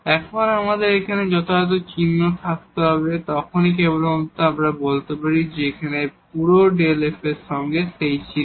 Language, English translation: Bengali, Now, we have to have a strict sign here then only we can say this will be the whole delta f will be of that sign